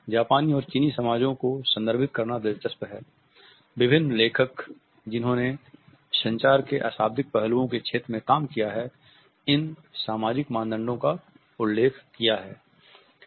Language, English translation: Hindi, It is interesting to refer to the Japanese and the Chinese societies, various authors who have worked in the area of nonverbal aspects of communication have referred to these societal norms